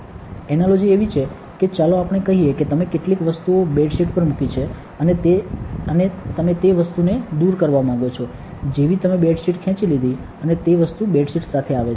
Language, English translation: Gujarati, An analogy is like let us say you have put some things on a bed sheet and you want to remove that item you pulled a bed sheet and the item comes with the bed sheet